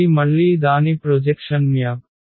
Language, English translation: Telugu, This again its a projection map